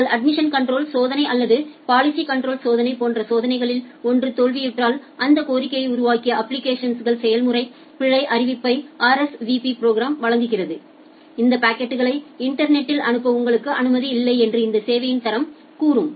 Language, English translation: Tamil, If either of the check fails like either your admission control check fails or the policy control check fails, then the RSVP program returns an error notification to the application process that generated that request, that you are not allowed to send this packet over the internet with this quality of service which you are claiming